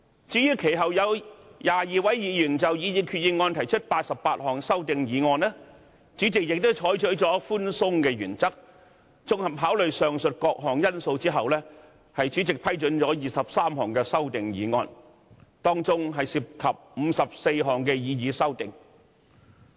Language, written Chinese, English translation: Cantonese, 至於其後有22位議員就擬議決議案提出88項修正案，主席亦採取了寬鬆的原則，綜合考慮上述各項因素後批准提出23項議案，當中涉及54項擬議修正案。, As for the 88 amendments proposed by 22 Members subsequently to the proposed resolutions the President has also adopted a lenient approach and after giving comprehensive consideration to various factors mentioned above approved 23 motions involving 54 of these proposed amendments